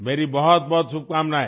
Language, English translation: Hindi, My very best wishes